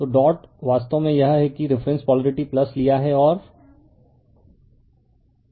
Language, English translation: Hindi, So, dot actually it is that reference polarity plus you have taken and dot is also the reference will plus